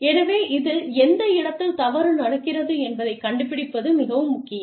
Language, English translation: Tamil, so, it is very important to find out, where things are going wrong